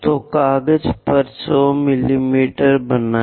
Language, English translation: Hindi, So, let us note 100 mm on page